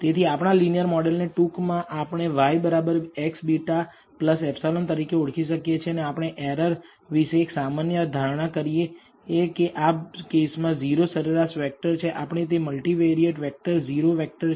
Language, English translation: Gujarati, So, we can write our linear model compactly as y equals x beta plus epsilon and we also make the usual assumptions about the error that it is a 0 mean vector in this case because it is a multivariate vector 0 is a vector